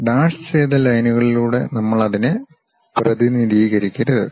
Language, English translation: Malayalam, We should not represent that by dashed lines